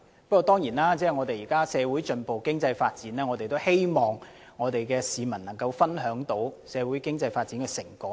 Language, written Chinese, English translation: Cantonese, 不過，現時社會進步、經濟發展，我們當然希望市民能夠分享社會經濟發展的成果。, That said given the present social progress and economic development we certainly hope that members of the public can share the fruits of social and economic development